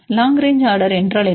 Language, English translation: Tamil, What is long range order